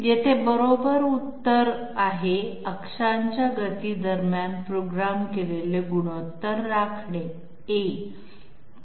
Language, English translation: Marathi, Here the correct answer is, maintain programmed ratios between axes speeds, why